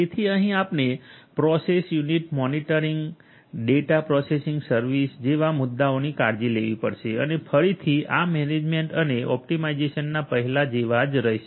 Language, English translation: Gujarati, So, here we have to take care of issues such as process unit monitoring, data processing service and again this management and optimization stays the same like the ones before